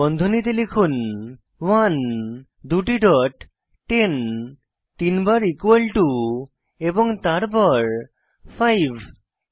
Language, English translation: Bengali, Type Within brackets 1 two dots 10 three times equal to and then 5 Press Enter